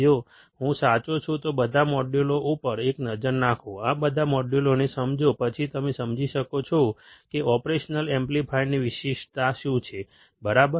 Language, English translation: Gujarati, If I am correct then take a look at all the modules, understand all the modules, then you will understand what are the specifications of an operational amplifier, alright